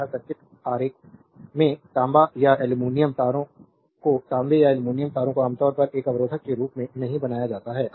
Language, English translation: Hindi, In a circuit diagram copper or aluminum wiring is copper or aluminum wiring is not usually modeled as a resistor